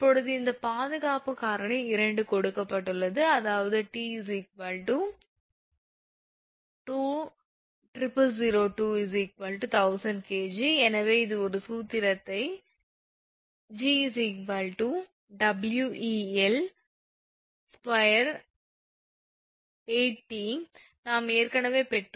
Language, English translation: Tamil, Now, this one now factor of safety is given 2; that means, T is equal to 2000 by 2, that is thousand kg therefore, sag this this formula for this one We L square upon 8 T, this you know we have derived already